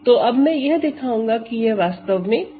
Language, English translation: Hindi, So now, I am going to root this is three actually